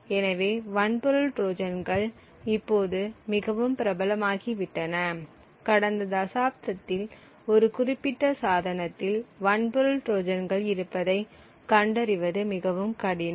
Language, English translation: Tamil, So, hardware Trojans have now become quite popular in the last decade or so and it is extremely difficult to actually find ways to detect the presence of hardware Trojans present in a particular device